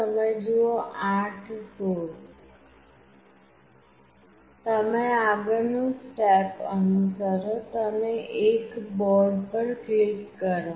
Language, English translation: Gujarati, The next step you have to follow is: you click on Add Board